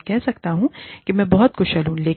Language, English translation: Hindi, I may say, i am very skilled